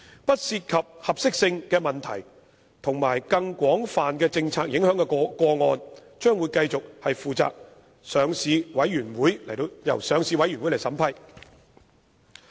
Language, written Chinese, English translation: Cantonese, 不涉及合適性的問題及更廣泛政策影響的個案，將會繼續由上市委員會負責審批。, Those cases which do not involve suitability issues or have broader policy implications will continue to be vetted and approved by the Listing Committee